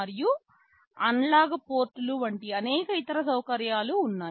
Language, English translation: Telugu, And there are many other facilities like analog ports